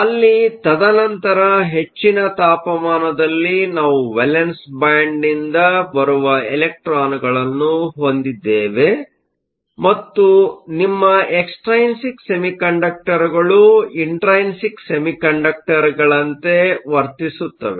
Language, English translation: Kannada, And then at high temperature, we find that we have electrons that come from the valance band and your extrinsic semiconductor behaves like an intrinsic one